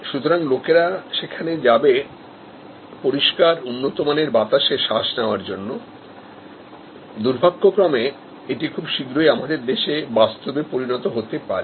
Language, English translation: Bengali, So, people though in their to breath for at while good high quality air, unfortunately this may become a reality in our country very soon